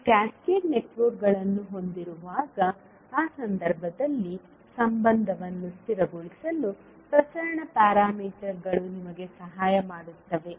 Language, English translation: Kannada, So the transmission parameters will help you to stabilise the relationship in those cases when you have cascaded networks